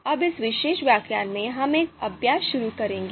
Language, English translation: Hindi, So now in this particular lecture, we will start through an exercise